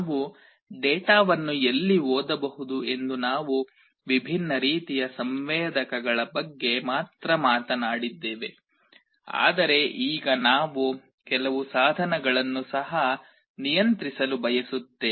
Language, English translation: Kannada, We only talked about different kind of sensors from where we can read the data, but now we want to also control some devices